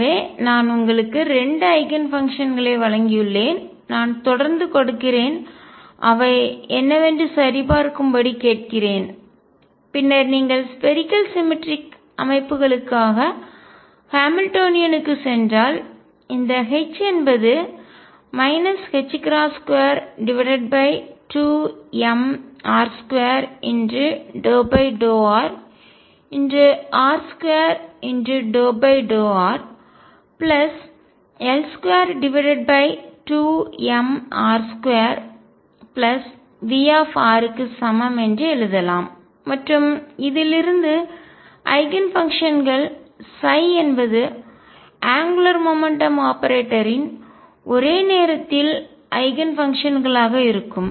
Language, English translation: Tamil, So, I given you 2 Eigen functions others I can keep giving and ask you to check what they are like and once you then go to the Hamiltonian for spherically symmetric systems this can be written as H equals minus h cross square over 2 m r square partial with respect to r; r square partial with respect to r plus L square over 2 m r square plus V r and since the Eigenfunctions psi are going to be simultaneous Eigenfunctions of the angular momentum operator